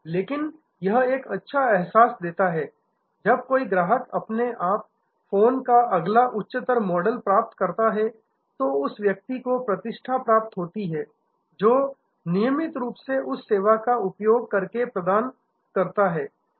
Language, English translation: Hindi, But, it gives a good feel that when a customer automatically gets the next higher model of the phone, because of the personage that he or she is providing by regularly using the service